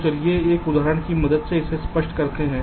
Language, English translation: Hindi, so let us just illustrate this with the help of an example so the process will become clear